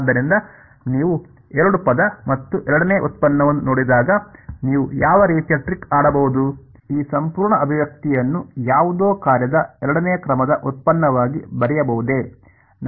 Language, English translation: Kannada, So, when you see a two term and the second derivative what kind of a trick could you play, could you write this whole expression as the second order derivative of something of some function